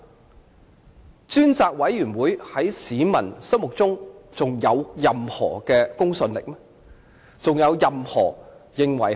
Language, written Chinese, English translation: Cantonese, 屆時專責委員會在市民心目中還有任何公信力嗎？, In that case would the Select Committee have any credibility in the eyes of the public?